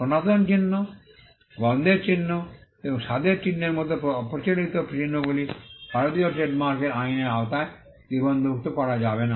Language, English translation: Bengali, Unconventional marks like sound mark, smell marks and taste marks cannot be registered under the Indian trademarks act